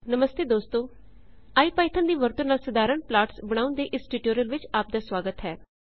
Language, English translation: Punjabi, Hello Friends and welcome to the tutorial on creating simple plots using iPython